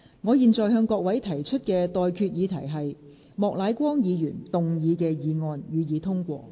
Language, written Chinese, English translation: Cantonese, 我現在向各位提出的待決議題是：莫乃光議員動議的議案，予以通過。, I now put the question to you and that is That the motion moved by Mr Charles Peter MOK be passed